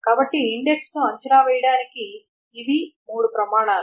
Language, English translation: Telugu, So these are the three criteria for evaluating an index